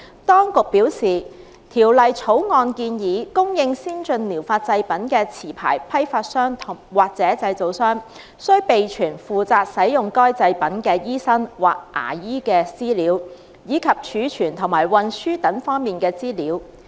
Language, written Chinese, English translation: Cantonese, 當局表示，《條例草案》建議，供應先進療法製品的持牌批發商或製造商，須備存負責使用該製品的醫生或牙醫的資料，以及貯存和運輸等方面的資料。, According to the Administration the Bill proposed that a licensed wholesale dealer or manufacturer supplying ATPs was required to keep records of the information of a medical practitioner or dentist using ATPs as well as records related to storage and transport etc